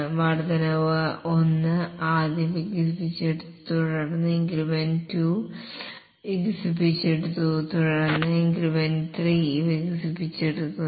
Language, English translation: Malayalam, Increment, okay, increment 1 is first developed, then increment 2 is developed, then increment 3 gets developed